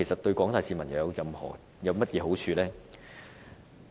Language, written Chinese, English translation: Cantonese, 對廣大市民又有甚麼好處呢？, What benefits the general public can get from this?